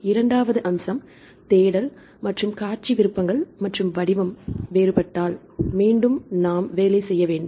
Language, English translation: Tamil, Second aspect is the search options and the display options and the format may not be same if it is different then again we have to rework right